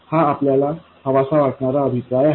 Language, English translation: Marathi, This is exactly the kind of feedback that you want